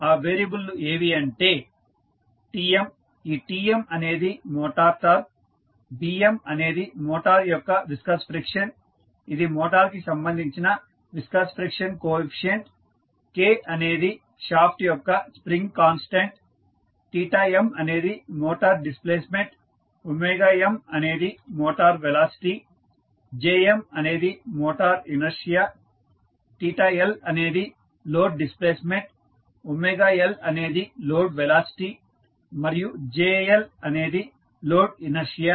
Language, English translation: Telugu, The variables are Tm, Tm is nothing but motor torque, Bm is viscous friction of the motor, so this is viscous friction coefficient related to motor, K is spring constant of the shaft, theta m is motor displacement, omega m is given as motor velocity, Jm is motor inertia, theta L we consider it as load displacement, omega L is load velocity and jL is the load inertia